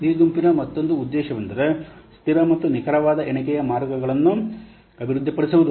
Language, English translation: Kannada, Another objective of this group is to develop consistent and accurate counting guidelines